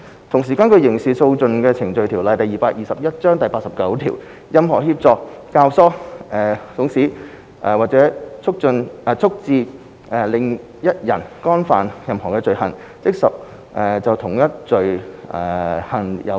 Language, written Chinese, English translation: Cantonese, 同時，根據《刑事訴訟程序條例》第89條，任何人協助、教唆、慫使或促致另一人干犯任何罪行，即屬就同一罪行有罪。, Meanwhile according to section 89 of the Criminal Procedure Ordinance Cap . 221 any person who aids abets counsels or procures the commission by another person of any offence shall be guilty of the like offence